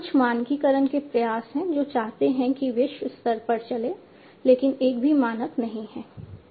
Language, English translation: Hindi, There are some standardization efforts disparate wants that are going on globally, but there is no single standard, as yet